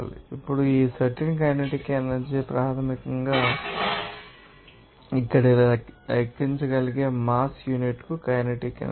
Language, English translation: Telugu, Now, this specific kinetic energy basically the kinetic energy per unit of mass you can calculate here